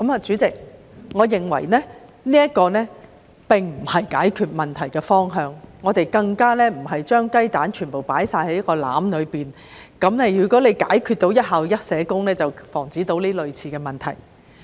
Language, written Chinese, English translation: Cantonese, 主席，我認為這並非解決問題的方法，我們更不應該把全部雞蛋放在同一個籃子，以為只要做到"一校一社工"便能防止類似的問題。, President I do not think this is the solution nor should we put all our eggs in one basket in the belief that all similar problems can be avoided if one SSW for each school is achieved